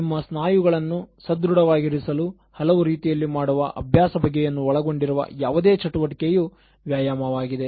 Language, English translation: Kannada, Exercise is any activity that involves exerting your muscles in various ways to keep yourself fit